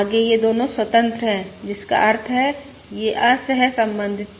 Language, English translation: Hindi, Further, both of these are independent, which means there also uncorrelated as well